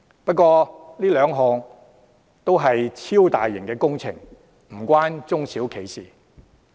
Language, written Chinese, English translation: Cantonese, 不過，這兩項均是超大型工程，與中小企無關。, However these two mega - sized projects have nothing to do with SMEs